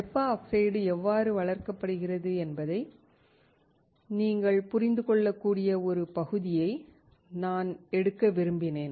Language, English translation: Tamil, I just wanted to take a part where you can understand how the thermal oxide is grown